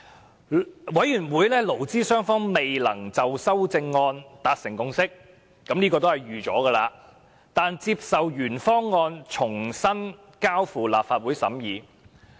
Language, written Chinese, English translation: Cantonese, 在勞顧會的討論中，勞資雙方未能就修正案達成共識——這是意料中事——但接受將原方案重新交付立法會審議。, During LABs discussion the representatives of employers and employees could not reach a consensus on the amendments―that is not surprising―but they agreed to resubmit the original proposal to the Legislative Council for scrutiny